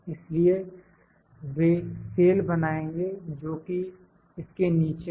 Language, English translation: Hindi, So, they form the boxes which are below this